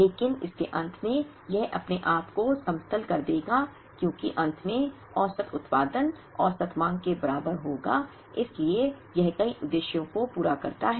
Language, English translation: Hindi, But, at the end of it, it will level itself because finally, the average production will be equal to the average demand so it serves multiple purposes